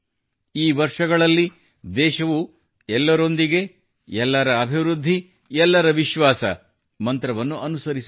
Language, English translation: Kannada, Over these years, the country has followed the mantra of 'SabkaSaath, SabkaVikas, SabkaVishwas'